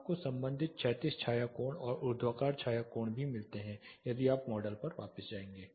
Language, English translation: Hindi, You also get corresponding horizontal shadow angle and vertical shadow angle you will go back to the model